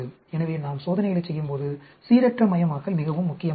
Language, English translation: Tamil, So, randomization is very important when we perform experiments